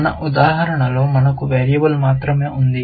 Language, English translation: Telugu, In our example we have only a variable